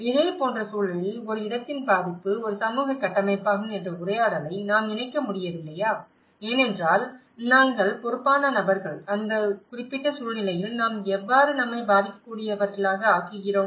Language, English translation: Tamil, On the similar context, can we not link the dialogue of can the vulnerability of a place is also a social construct because we are the responsible people, how we are making ourself vulnerable in that particular situation